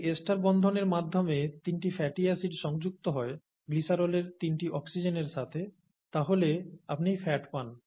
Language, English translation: Bengali, If you have three fatty acids attached to the three oxygens of the glycerol through ester linkages, as they are called